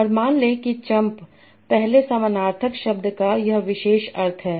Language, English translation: Hindi, And suppose chump the first sense is this particular meaning